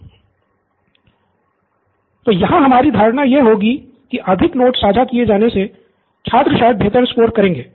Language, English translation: Hindi, So here our assumption would be that with more notes being shared, students would probably score better